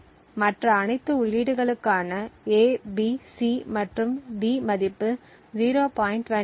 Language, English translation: Tamil, 5 each and all other inputs A, B, C and D have a value of 0